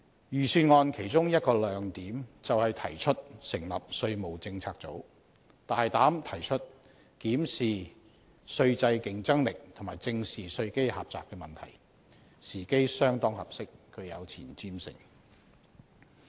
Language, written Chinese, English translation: Cantonese, 預算案的其中一個亮點，便是提出成立稅務政策組，大膽提出檢視稅制競爭力及正視稅基狹窄問題，時機相當合適，具有前瞻性。, One of the highlights of the Budget is the bold proposal of setting up a tax policy unit to comprehensively examine the competitiveness of our tax regime and address the problem of a narrow tax base . The timing is right and it is quite forward - looking